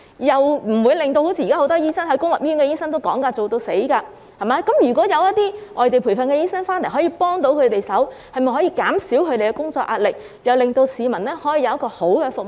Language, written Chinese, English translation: Cantonese, 現時公立醫院醫生工作"做到死"，如果有外地培訓醫生提供協助，便可以減低本地培訓醫生的工作壓力，兼令市民獲得良好的服務。, At present doctors in public hospitals are drowning in work . If non - locally trained doctors can offer help this will alleviate the work pressure of locally - trained doctors while the public can receive good services